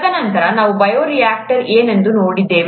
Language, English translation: Kannada, And then, we looked at what a bioreactor was